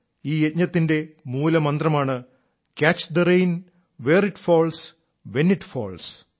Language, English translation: Malayalam, Its credo is 'CATCH THE RAIN, WHERE IT FALLS, WHEN IT FALLS'